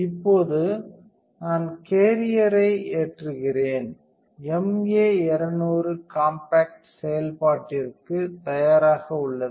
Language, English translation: Tamil, Now, I load the carrier that is all there is to it and the MA 200 compact is ready for operation